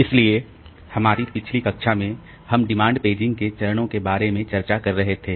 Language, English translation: Hindi, So, in our last class, we have been discussing about stages in demand paging